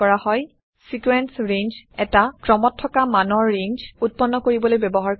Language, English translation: Assamese, Sequence range is used to create a range of successive values